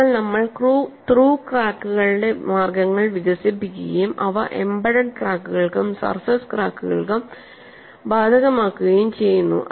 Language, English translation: Malayalam, So, we develop methodologies for through cracks and graduate to apply them for embedded cracks as well as to surface cracks